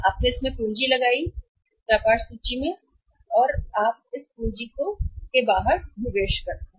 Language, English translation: Hindi, You invested capital in this business inventory or you invest this capital outside